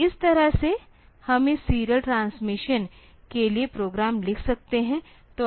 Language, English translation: Hindi, So, this way we can write the program for this serial transmission